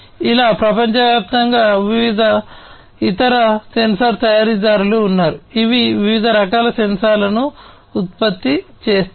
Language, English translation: Telugu, Like this, there are many different other sensor manufacturers globally, that produce different types of sensors